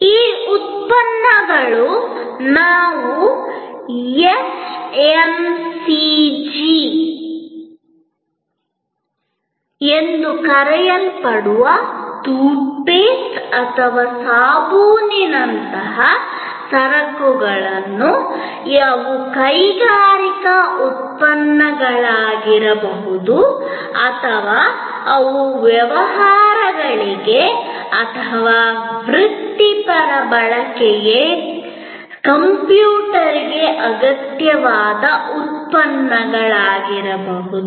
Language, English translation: Kannada, These products could be what we call FMCG, Fast Moving Consumer Goods like toothpaste or soap, they could be industrial products or they could be products required for businesses or for professional use like a computer and so on